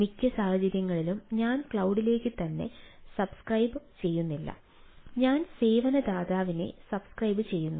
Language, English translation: Malayalam, ah, and most of the cases i am not subscribing to the cloud itself, i am subscribing to the service provider and the whole paradigm